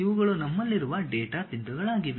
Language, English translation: Kannada, These are the data points what we have